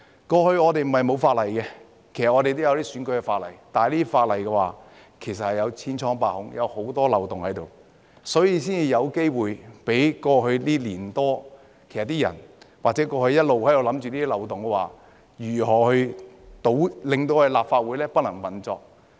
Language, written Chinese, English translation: Cantonese, 過去，我們不是沒有法例，而是有選舉的法例，但這些法例千瘡百孔，有很多漏洞，所以才有機會讓人在過去1年多或一直在想，如何利用漏洞令立法會不能運作。, It is not that we did not have laws in the past . Rather we did have electoral laws but these laws were flawed and had many loopholes . This explains why there were opportunities for people to think in the past year or so or all along about how to take advantage of the loopholes to make the Legislative Council dysfunctional